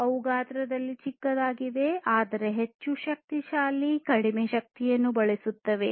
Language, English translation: Kannada, They are smaller in size, but much more powerful, less energy consuming